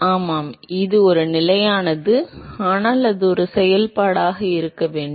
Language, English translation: Tamil, yeah it is a constant, but still it should be a function, right